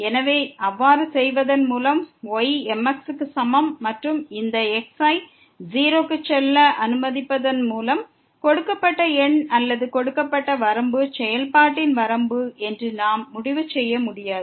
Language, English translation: Tamil, So, by doing so y is equal to mx and letting this goes to , we cannot conclude that the given number or the given limit is the limit of the of the function